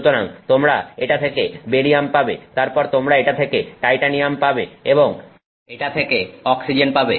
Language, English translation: Bengali, So, you get barium from this, then you get titanium from this and oxygen from this